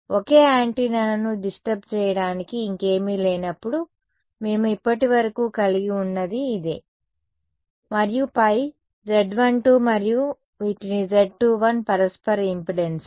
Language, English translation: Telugu, This is what we had so far when there was a single antenna nothing else to disturb it and then Z 2 1 Z 1 2 these are called the mutual impedances